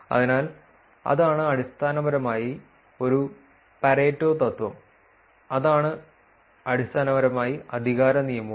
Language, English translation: Malayalam, So, that is essentially what a Pareto principle is that is essentially, what power law is also